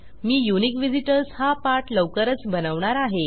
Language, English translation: Marathi, Ill make a unique visitors tutorial soon